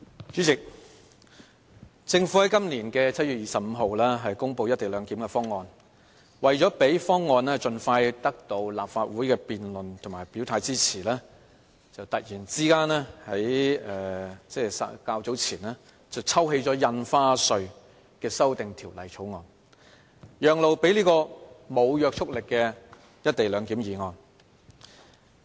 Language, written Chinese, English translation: Cantonese, 主席，政府在今年7月25日公布"一地兩檢"的方案，為了讓方案盡快得到立法會的辯論及表態支持，較早前突然抽起《2017年印花稅條例草案》，讓路予無約束力的"一地兩檢"議案。, President the Government announced the co - location proposal on 25 July this year . In order to allow Members to expeditiously discuss and declare their support for the proposal the Government suddenly withdrew the Stamp Duty Amendment Bill 2017 to give way to a non - legally binding motion debate on the co - location arrangement